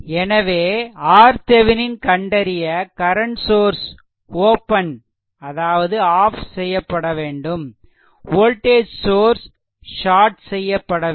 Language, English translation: Tamil, So, for R Thevenin this voltage source is shorted this voltage source is shorted; that means, these two point is shorted